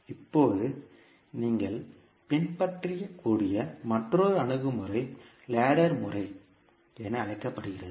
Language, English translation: Tamil, Now, another approach which you can follow is called as a ladder method